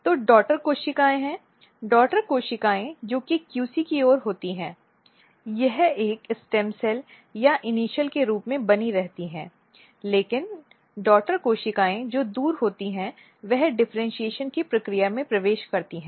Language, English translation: Hindi, So, there are two daughter cells the daughter cells which is towards the QC it remains as a stems cells or as initial, but the daughter cell which is away it enters in the process of differentiation